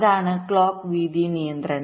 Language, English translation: Malayalam, that is the clock width constraint